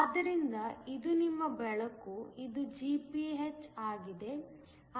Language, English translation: Kannada, So, this is your illumination, this is Gph